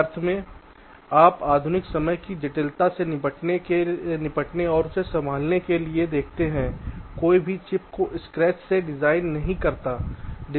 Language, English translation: Hindi, you see, to tackle and handle the modern day complexity, no one designs the chips from scratch